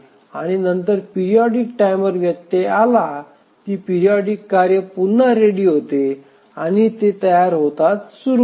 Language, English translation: Marathi, And again, as the periodic timer interrupt comes, the periodic task again becomes it arrives or becomes ready